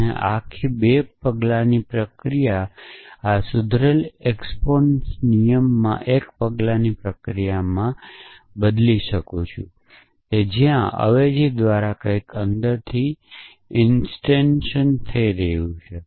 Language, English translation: Gujarati, So, this whole 2 step process is collapse into one step process in this modified exponents rules where, thus instantiation is taking place somewhere inside by means of a substitution